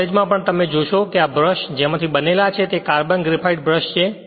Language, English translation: Gujarati, In your college also in the lab if you see this brushes are made of you will find it is a carbon graphite brushes right